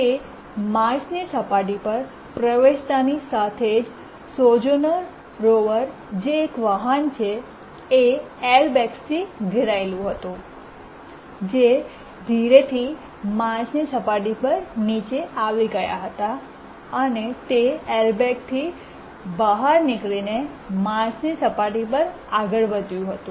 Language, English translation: Gujarati, And as it entered the Marth's surface, the vehicle, which is the Sojourner River, it was surrounded by airbags, slowly it dropped down onto the Mars surface